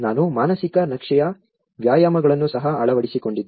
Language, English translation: Kannada, I have also adopted the mental map exercises